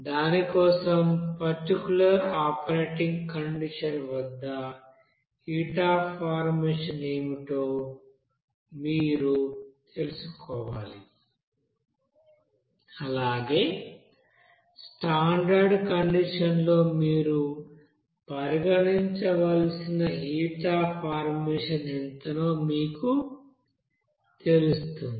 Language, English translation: Telugu, For that, you have to you know find out what should be the heat of formation at that particular operating condition as well as what will be the you know heat of formation at standard condition that you have to consider